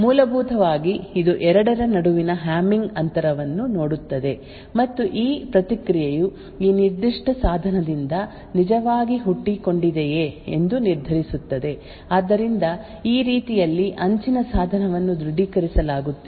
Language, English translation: Kannada, Essentially it would look at the Hamming distance between the two and determine whether this response has actually originated from this specific device so in this way the edge device will be authenticated